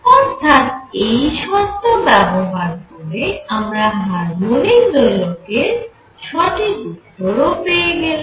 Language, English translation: Bengali, So, with this condition, I also get the answer for the harmonic oscillator and the correct answer